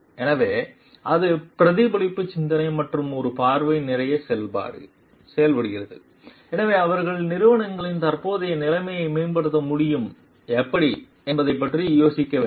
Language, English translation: Tamil, So, it acts to be a lot of reflective thinking a vision, so they have the ideas about how the status quo in the organizations can be improved